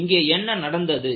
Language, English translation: Tamil, So, why this has happened